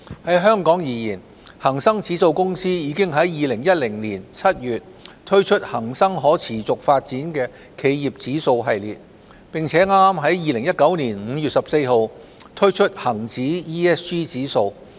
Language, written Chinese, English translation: Cantonese, 在香港而言，恒生指數公司已在2010年7月推出恒生可持續發展企業指數系列，並剛在2019年5月14日推出恒指 ESG 指數。, In Hong Kong Hang Seng Indexes Company Limited HSIL has launched the Hang Seng Corporate Sustainability Index Series since July 2010 and launched the HSI ESG Index on 14 May 2019